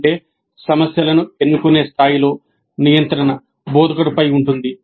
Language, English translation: Telugu, That means at the level of choosing the problems the control rests with the instructor